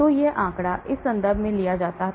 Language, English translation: Hindi, So this figure was taken from this reference